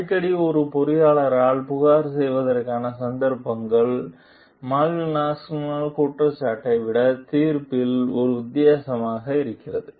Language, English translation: Tamil, So, frequently the occasion for complaint by an engineer is a difference in judgment rather than the accusation of Malvinas